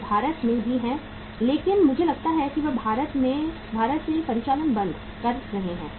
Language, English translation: Hindi, They are into India also but I think they are closing operations from India